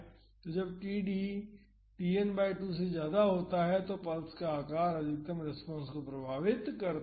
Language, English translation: Hindi, So, when td is greater than Tn by 2 then the shape of the pulse influences the maximum response